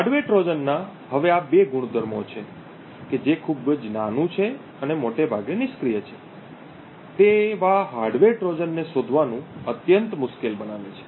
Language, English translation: Gujarati, Now these two properties of a hardware Trojan that being very small and also mostly passive makes hardware Trojans extremely difficult to detect